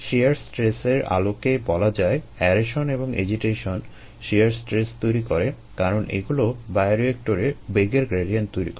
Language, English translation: Bengali, in terms of shear stress, aeration and agitation cause shear stress because they cause velocity gradients in the bioreactor